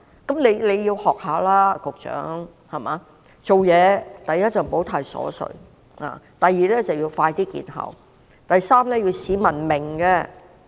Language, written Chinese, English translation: Cantonese, 局長，你該學一學他：第一，做事不應太瑣碎；第二，措施要能盡快見效；第三，措施要是市民能懂的。, Secretary you have to learn from him . Firstly the measure should not be too piecemeal . Secondly it has to be quick for the measure to be effective